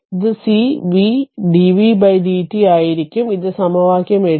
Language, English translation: Malayalam, So, it will be cv dv by dt, this is equation 8